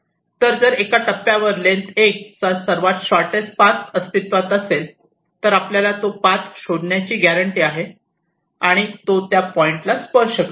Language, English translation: Marathi, so if a shortest path of length l exist after l steps, you are guaranteed to find that path and it will touch that point